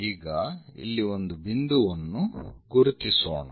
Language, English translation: Kannada, Now, let us identify a point something here